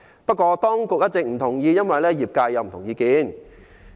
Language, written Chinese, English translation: Cantonese, 不過，當局一直不同意，因為業界持不同意見。, However the authorities do not agree with this amendment saying that there are diverse views in the trade